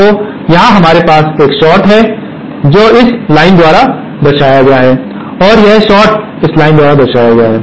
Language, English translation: Hindi, So, here we have a short which is represented by this line and this short is represented by this line